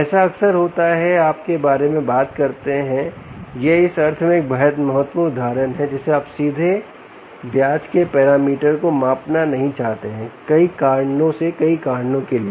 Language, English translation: Hindi, this is a very important example in the sense that you may not want to measure the parameter of interest directly, for several reasons, for several reasons